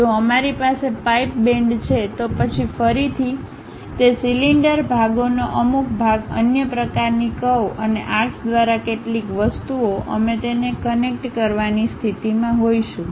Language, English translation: Gujarati, If we have a pipe bend, then again some part of that cylinder portions, some other things by other kind of curves and arcs; we will be in a position to connect it